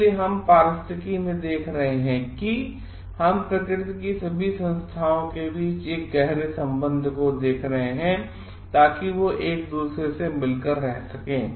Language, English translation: Hindi, So, we are looking into ecology we are looking into a deep connection between all the entities of nature so that they can coexist with each other